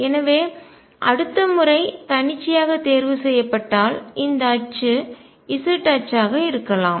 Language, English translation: Tamil, So, if it is chosen arbitrarily the next time this axis could be the z axis